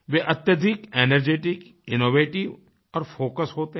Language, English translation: Hindi, They are extremely energetic, innovative and focused